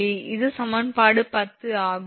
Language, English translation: Tamil, So, this is equation 10